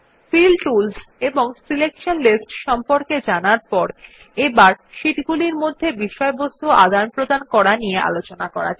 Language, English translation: Bengali, After learning about the Fill tools and Selection lists we will now learn how to share content between sheets